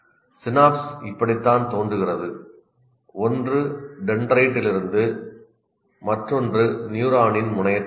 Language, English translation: Tamil, This is how the synapse looks like from one is from dendrite, the other is from the terminal, neuron terminal